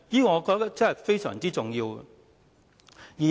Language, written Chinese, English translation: Cantonese, 我覺得這方面非常重要。, I think this is very important